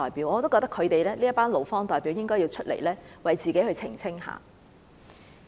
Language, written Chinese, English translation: Cantonese, 我覺得這群勞方代表應該要出來為自己澄清。, I think it is necessary for these employee representatives to come out to defend themselves